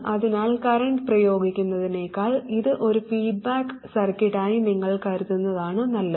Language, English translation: Malayalam, So it is better if you think of this as a feedback circuit rather than simply applying the current